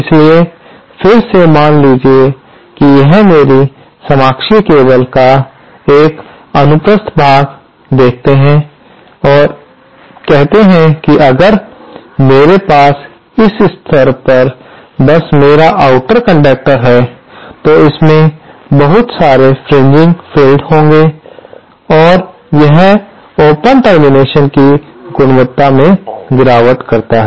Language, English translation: Hindi, So, again suppose it take a cross sectional view of my coaxial cable and say if I have have my outer conductor just at this level, this point, then there will be a lot of fringing fields and this will cause the quality of the open termination to degrade